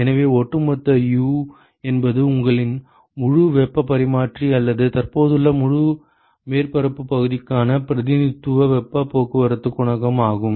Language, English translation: Tamil, So, the overall U is a representative heat transport coefficient, for your full heat exchanger, or full surface area which is present